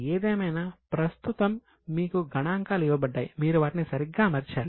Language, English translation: Telugu, Anyway right now the figures are given to you you have to just them properly